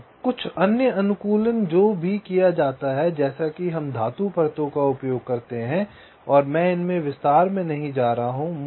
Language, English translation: Hindi, so there is some other optimizations which are also carried out, like ah, like the layers, we use the metal layers and i am not going with detail of these